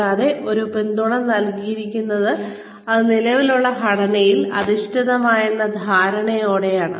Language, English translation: Malayalam, And, so this support is given,with the understanding that, it rests on an existing structure